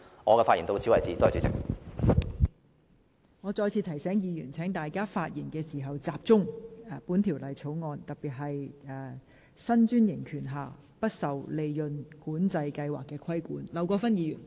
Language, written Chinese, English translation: Cantonese, 我再次提醒議員，在發言時應集中討論這項議案的議題，即九巴的新專營權不受"利潤管制計劃"規限。, I remind Members again that in their discussion they should focus on the question of this motion that is the new franchise of KMB is not subject to the Profit Control Scheme